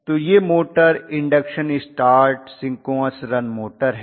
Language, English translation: Hindi, So these motors are induction start synchronous run motors